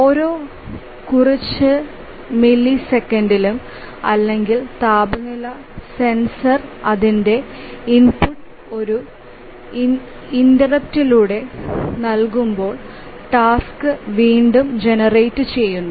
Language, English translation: Malayalam, So, every few milliseconds or so when the temperature sensor gives its input through an interrupt, then the task gets generated